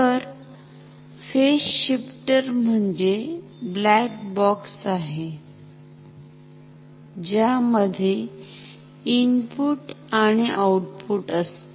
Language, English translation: Marathi, So, a phase shifter functionally is a black box which has a input and a output